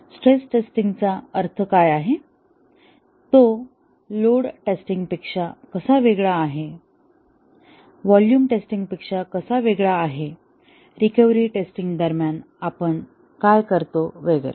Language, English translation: Marathi, What do you mean by stress test, how is it different from a load test, how is it different from a volume test, what do we do during a recovery test and so on